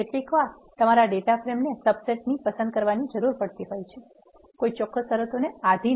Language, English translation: Gujarati, Sometimes you will be interested in selecting the subset of the data frame; based on certain conditions